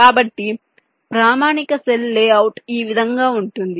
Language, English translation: Telugu, so this is how a standard cell layout works